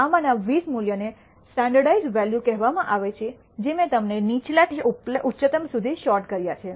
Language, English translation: Gujarati, The 20 values as these are called the standardized values I have sorted them from the lowest to highest